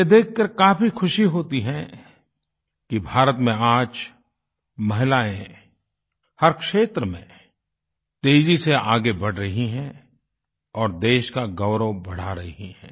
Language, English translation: Hindi, It's a matter of joy that women in India are taking rapid strides of advancement in all fields, bringing glory to the Nation